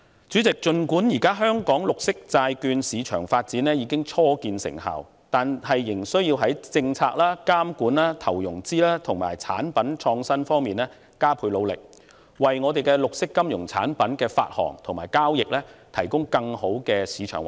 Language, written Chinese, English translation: Cantonese, 主席，儘管現時香港綠色債券市場發展初見成效，但當局仍須在政策、監管、投融資及產品創新方面加倍努力，為本地綠色金融產品的發行和交易提供更好的主場環境。, President although the development of local green bond market begins to bear fruit the authorities still need to make extra efforts in respect of policies regulation investment and financing as well as product innovation in order to provide a better host market environment for the issuance and trading of local green finance products